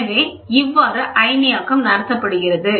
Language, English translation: Tamil, What is ionization